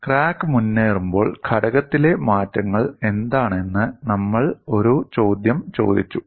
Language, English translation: Malayalam, And we have also looked at and asked the question what are the changes in the component when crack advances